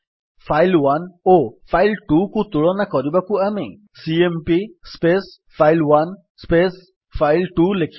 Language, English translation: Odia, To compare file1 and file2, we would write cmp file1 file2